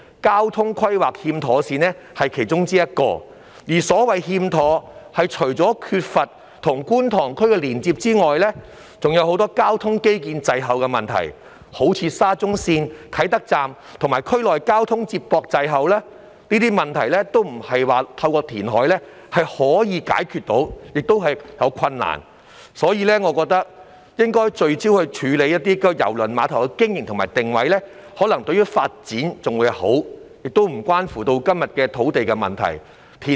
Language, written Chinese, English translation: Cantonese, 交通規劃欠妥善只是其中之一，而所謂"欠妥"，除了是缺乏與觀塘區的連接外，還有很多交通基建滯後的問題，就如沙田至中環綫啟德站與區內交通接駁滯後，這些問題並非透過填海便可以解決，而且解決起來亦有困難，所以我覺得應該聚焦處理郵輪碼頭的經營和定位，這個做法或許更有利發展，亦不涉及今天談到的土地問題。, Improper transport planning is just one of them and the term improper is used in the sense that not only is there a lack of connectivity with the Kwun Tong District but there are also many problems with inadequate transport infrastructure such as inadequate feeder transport to and from the Kai Tak Station of the Shatin to Central Link within the district . These problems cannot be resolved simply through reclamation and they are also difficult to resolve so I think we should focus on the operation and positioning of the cruise terminal . This approach may be more conducive to development and has nothing to do with the land supply issue discussed today